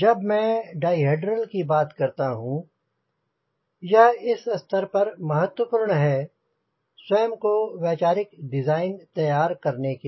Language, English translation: Hindi, when i talk about di hedral, it is important at this stage because we are preparing our self for conceptual design